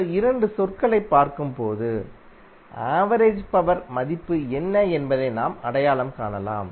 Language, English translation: Tamil, You can just simply look at these two term, you can identify what would be the value of average power